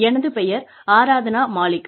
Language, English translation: Tamil, My name is Aradhna Malik